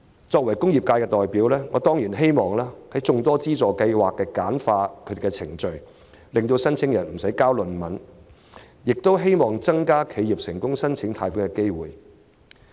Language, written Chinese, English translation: Cantonese, 作為工業界的代表，我當然希望這類資助計劃能盡量簡化程序，無須申請人"交論文"，亦希望更多企業能成功申請貸款。, As a representative of the industrial sector I certainly hope that the procedures of such subsidy schemes can be streamlined by all means thus sparing applicants the trouble of submitting theses . I also hope that more enterprises will succeed in their loan applications